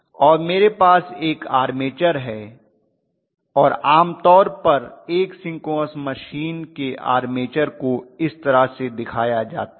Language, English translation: Hindi, And I have an armature and normally the armature of a synchronous machine is specified like this